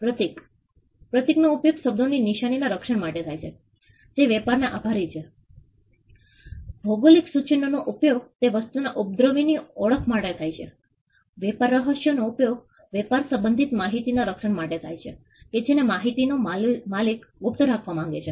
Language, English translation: Gujarati, Trademarks, trademarks are used to protect words symbols that can be attributed to trade, geographical indications can be used to indicate the origin of certain goods trade secrets can be used to protect information relating to trade which the owner of the information wants to keep as a secret